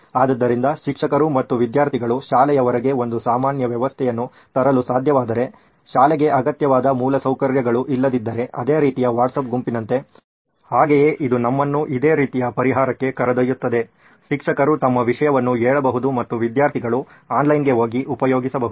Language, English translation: Kannada, So like a similar kind of WhatsApp group if teachers and students can come up with a common system outside the school, just in case if school does not have infrastructure which is required, so then also it leads us to a similar kind of a solution where teacher can put up her content and students can go online, access